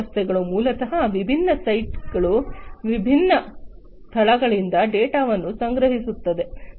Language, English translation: Kannada, So, these systems basically would collect the data from different sites, different locations